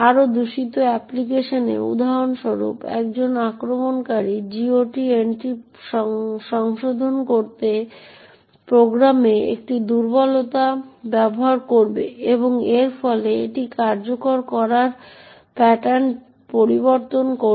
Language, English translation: Bengali, In a more malicious application, for example an attacker would use a vulnerabilty in the program to modify the GOT entry and thereby change its execution pattern